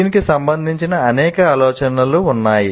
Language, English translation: Telugu, There are several ideas associated with this